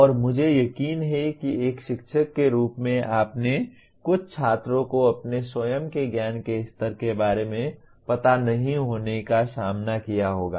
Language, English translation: Hindi, And I am sure as a teacher you would have faced some students not being aware of their own level of knowledge